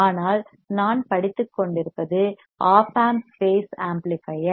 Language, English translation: Tamil, But if I have what we are studying is op amp base amplifier